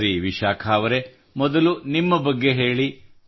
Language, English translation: Kannada, WellVishakha ji, first tell us about yourself